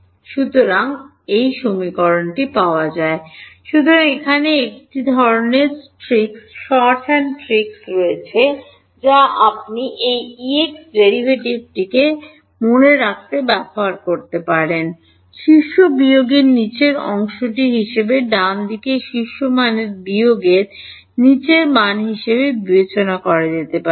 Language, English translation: Bengali, So, there is a sort of trick short hand trick you can use to remember this the E x derivative can be thought of as top minus bottom, right the top value minus the bottom value